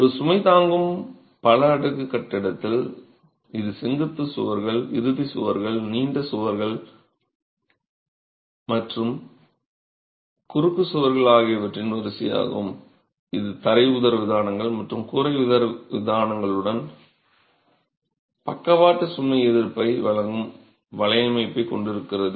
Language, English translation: Tamil, So, in a load bearing multi storied masonry building, it is the series of orthogonal walls, end walls, long walls and cross walls together which form the network that is going to provide the lateral load resistance along with the floor diaphragms and the roof diaphragms